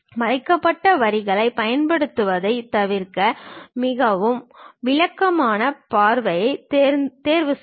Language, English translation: Tamil, To avoid using hidden lines, choose the most descriptive viewpoint